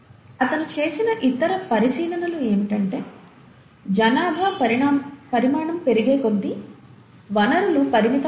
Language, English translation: Telugu, The other observation that he made is that, as a population grows in size, eventually, the resources become limited